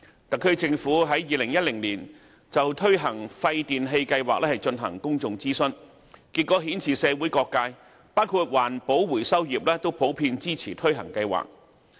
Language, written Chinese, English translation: Cantonese, 特區政府在2010年就推行廢電器計劃進行公眾諮詢，結果顯示社會各界，包括環保回收業均普遍支持推行計劃。, In 2010 the HKSAR Government conducted a public consultation exercise on the introduction of producer responsibility scheme on waste electrical and electronic equipment WPRS . The feedback from all quarters of the community was generally supportive including the recycling industry